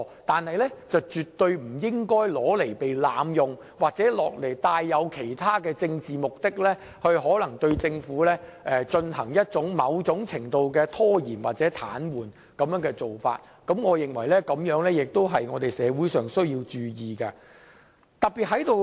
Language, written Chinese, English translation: Cantonese, 不過，這機制絕對不應被濫用，也不應附帶其他政治目的，試圖對政府的行事造成某種程度的拖延或癱瘓，我認為這是社會需要注意的。, However this system should not be abused in all circumstance nor should it be used for other political purposes in an attempt to delay or paralyse the operation of the Government in various degrees . I think society have to be conscious of this point